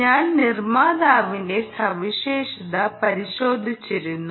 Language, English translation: Malayalam, but i just looked at the manufacturers specification